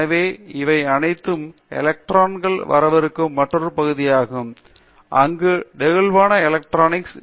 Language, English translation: Tamil, So, all these are coming up organic electronics is another area, where flexible electronics